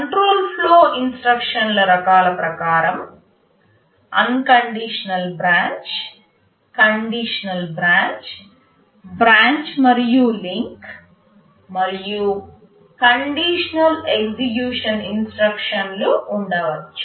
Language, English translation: Telugu, In terms of the types of control flow instructions, there can be unconditional branch, conditional branch, branch and link, and conditional execution instructions